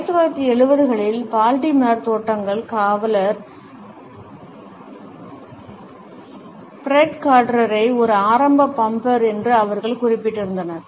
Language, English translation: Tamil, They had also noted that the Baltimore bullets guard Fred carter in the 1970’s was perhaps an early bumper